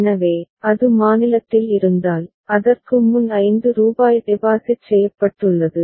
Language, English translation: Tamil, So, if it is at state b, consider the rupees 5 has been deposited just before it